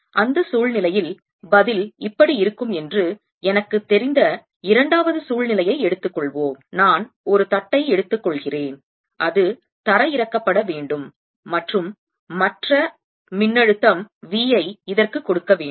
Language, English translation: Tamil, let us take second situation, in which i know the answer in that situation will be like this: i will take one plate is to be grounded and give potential v to the other plate, give potential v to the other plate